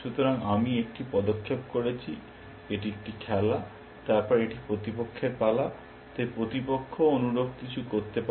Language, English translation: Bengali, So, I have made one move, and this is a game, then it is opponents turn, so opponent can also do something similar